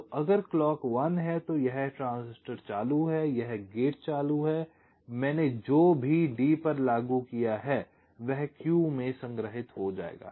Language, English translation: Hindi, so if clock is one, then this transistor is on, this gate is on and whatever i have applied to d, that will get stored in q